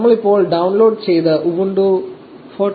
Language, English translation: Malayalam, You select the ubuntu 14